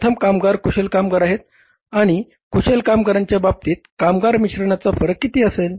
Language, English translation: Marathi, First workers are skilled workers and in case of the skilled workers labour mix variance is going to be how much